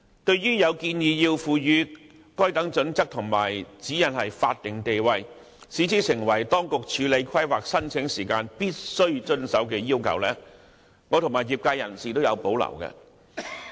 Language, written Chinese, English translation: Cantonese, 對於有建議賦予《規劃標準》和《指引》法定地位，規定當局處理規劃申請時必須遵從，我和業界均有保留。, Both the industry and I personally have reservation about the proposal of vesting these standards and guidelines statutory statuses and making them necessary requirements for compliance by the Administration in processing planning applications